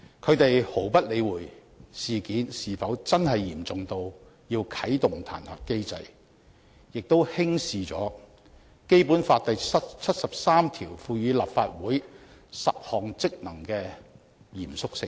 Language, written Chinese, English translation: Cantonese, 他們毫不理會事件是否真的嚴重到要啟動彈劾機制，也輕視了《基本法》第七十三條賦予立法會10項職能的嚴肅性。, They pay no heed to whether the incident is really serious enough to activate the impeachment mechanism and they have also ignored the solemnity of the 10 powers and functions empowered to the Legislative Council under Article 73 of the Basic Law